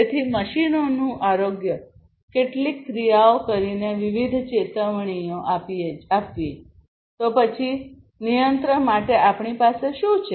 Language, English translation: Gujarati, So, health of the machines, taking some actions, offering different alerts; then, for control we have what